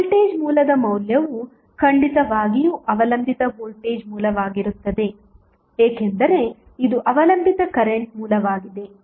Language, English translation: Kannada, The value of the voltage source that is definitely would be the dependent voltage source because this is the dependent current source